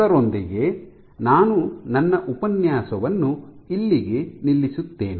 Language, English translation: Kannada, So, with that I stop here for this lecture